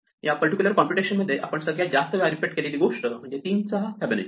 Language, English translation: Marathi, In this particular computation, the largest thing that we repeat is Fibonacci of 3